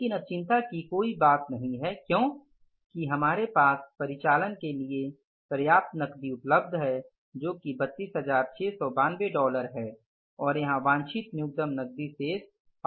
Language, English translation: Hindi, We have sufficient cash available for operations here that is 32,692 and the minimum cash balance desired here is that is 5,000s